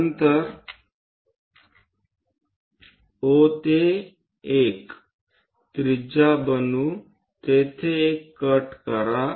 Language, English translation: Marathi, Then O to 1 construct a radius make a cut there